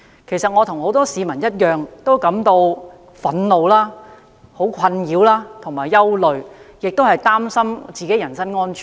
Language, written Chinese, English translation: Cantonese, 其實，我和很多市民一樣感到憤怒、困擾和憂慮，亦擔心自己的人身安全。, In fact I share the anger anxiety and worries of many members of the public . I am worried about my personal safety as well